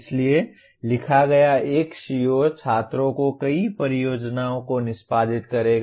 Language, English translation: Hindi, So one CO written was students will execute many projects